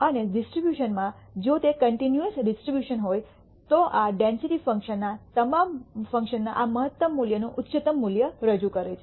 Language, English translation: Gujarati, And in a distribution if it is a continuous distribution, this represents the highest value of this maximum value of the density function